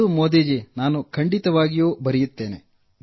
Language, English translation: Kannada, Yes, I certainly will do